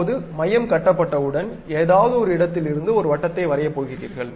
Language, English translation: Tamil, Now, once center is constructed from any point of that, you are going to draw a circle